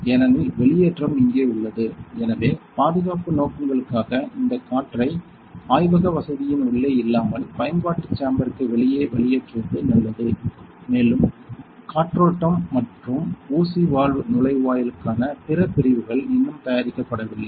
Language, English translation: Tamil, So, for that exhaust is here; so that is because of safety purposes which it is better that we exhaust these air outside to the utility room not inside the lab facility and we have other sections for venting and needle valve inlet which are yet to be made